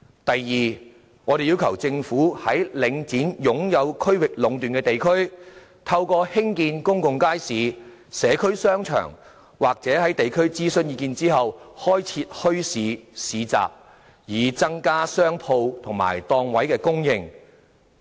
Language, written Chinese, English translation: Cantonese, 第二，我們要求政府在領展擁有區域壟斷的地區，透過興建公眾街市、社區商場，或在地區諮詢意見後，開設墟市/市集，增加商鋪及檔位供應。, Second we have requested the Government to increase the supply of shops and stalls in districts where Link REIT has a monopoly through building more public markets and shopping arcades for local communities or setting up bazaarsfairs after consulting the local residents